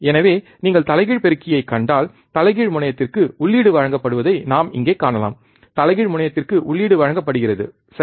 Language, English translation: Tamil, So, if you see the inverting amplifier, we can see here, that the input is given to the inverting terminal the input is given to the inverting terminal, right